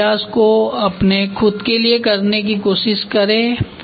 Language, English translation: Hindi, Try to do this exercise for yourself